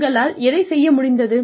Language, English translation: Tamil, What they have been able to do